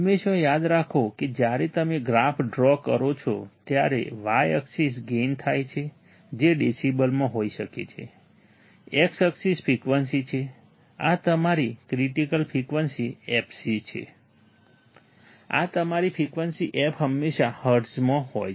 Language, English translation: Gujarati, Always remember when you plot the graph, y axis is gain which can be in decibels, x axis is frequency, this is your critical frequency fc, this is your frequency f is always in hertz